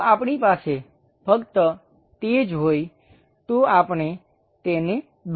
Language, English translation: Gujarati, If we have it only, we will be in a position to draw it